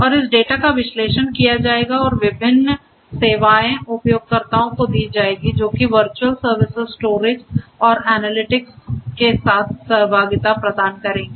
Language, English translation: Hindi, And this data will be analyzed and different services are going to be offered to the end users replicable services which will give interaction with virtual entities storage and analytics